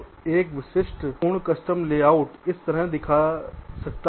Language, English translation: Hindi, so a typical full custom layout can look like this